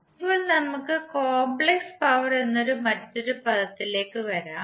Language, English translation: Malayalam, Now let’s come to another term called Complex power